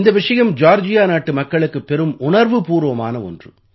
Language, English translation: Tamil, This is an extremely emotional topic for the people of Georgia